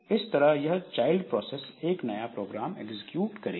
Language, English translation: Hindi, So, that is why this child process will be executing a new program